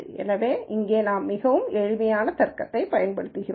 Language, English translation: Tamil, So, we are using a very very simple logic here